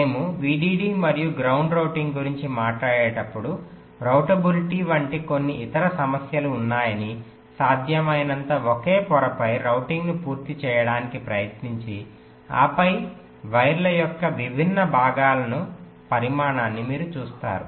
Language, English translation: Telugu, so you see that when we talk about vdd and ground routing, there are some other issues like routablity, trying to complete the routing on the same layer as possible, and then sizing of the different segments of the wires